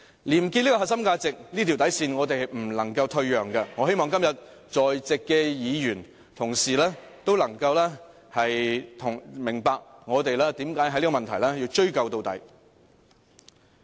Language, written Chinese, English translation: Cantonese, "廉潔"這個核心價值，這條底線，我們是不能退讓的，我希望今天在席的議員同事，都能明白我們為何要在這問題上追究到底。, We must never yield on this core value and bottom line of probity . I hope all the Members present today can understand why we must get to the bottom of this incident